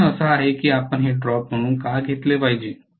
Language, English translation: Marathi, The question is why should you take this as a drop